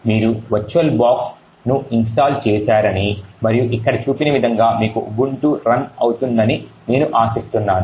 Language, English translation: Telugu, So, I hope by now that you have actually install the virtual box and you actually have this Ubuntu running as shown over here